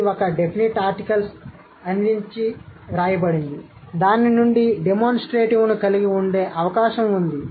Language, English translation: Telugu, It's written, given a definite article, it is likely to have a risen from a demonstrative